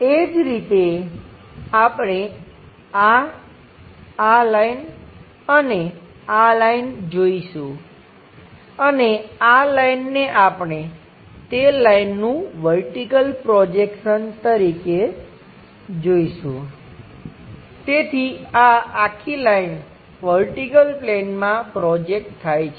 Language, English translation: Gujarati, Similarly, we will see this one, this line, and this line we will see, and this line we see it like vertical projection of that line, so this entire line projected into vertical plane